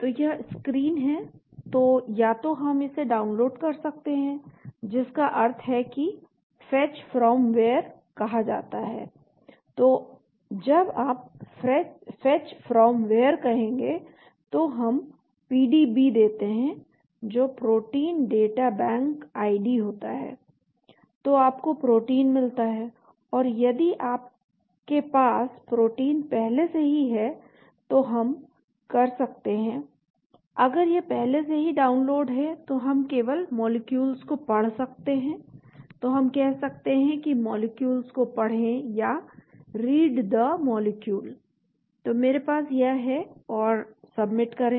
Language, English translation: Hindi, So this is the screen, so either we can download the, that means that called Fetch from where, so when you say Fetch from where, we give the PDB that is Protein Data Bank ID then you get the Protein or if you have the protein already then we can if it is already downloaded we can just read the molecules so we can say read the molecules, so I have it and submit